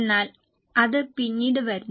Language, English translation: Malayalam, But it comes later on